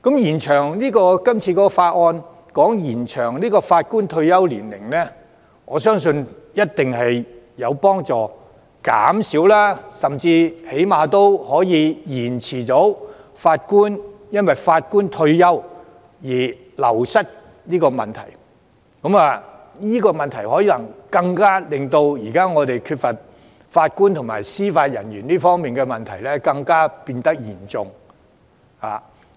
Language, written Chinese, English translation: Cantonese, 延長法官退休年齡，我相信一定有助減輕或最低限度延遲法官因退休而人手流失的問題。這個問題令我們現時法官及司法人員人手不足的問題變得更嚴重。, I think extending the retirement age of Judges can definitely alleviate or at the very least delay the wastage of Judges due to retirement which is a factor that aggravates the current shortage of Judges and Judicial Officers